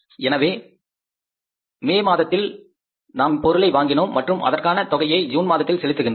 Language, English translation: Tamil, So, May we acquired the material and we are going to pay that in the month of June